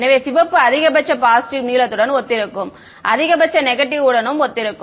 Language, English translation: Tamil, So, red will correspond to maximum positive blue will correspond to maximum negative right